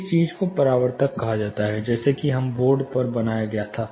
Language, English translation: Hindi, This thing is called reflectogram, something similar to what we drew on the board